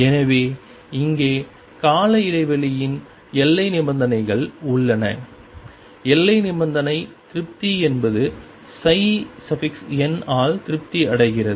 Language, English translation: Tamil, So here, there are the boundary conditions for the periodicity here the boundary condition satisfied is that satisfied by psi n